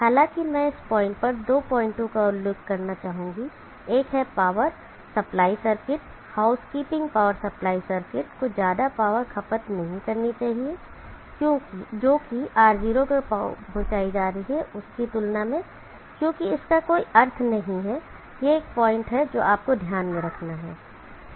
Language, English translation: Hindi, However, I would like to at this point mention two points, one is the power supply circuit, the housekeeping power supply circuit should not consume more power than what is being deliver to R0 because it does not meaningful, that is one point that you have to keep in mind